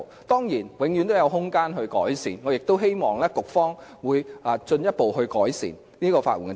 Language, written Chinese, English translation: Cantonese, 當然，制度永遠也有改善空間，我亦希望局方會進一步完善法援制度。, Of course there is always room for improvement to be made to a system and I hope that the Bureau will further perfect the legal aid system